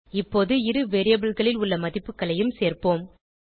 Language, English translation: Tamil, Now let us add the values in the two variables